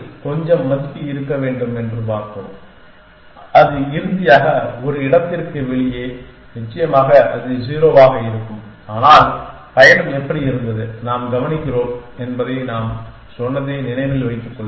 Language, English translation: Tamil, Let us see initially little be some value which that a out of place finally, of course it choose be 0, but how was the journey and remember that we said we makes does observation